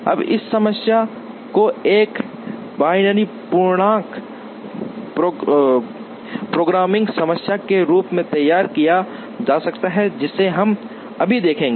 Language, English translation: Hindi, Now, this problem can be formulated as a binary integer programming problem, which we will see right now